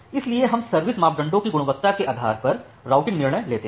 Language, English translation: Hindi, So, you make the routing decision based on the quality of service parameters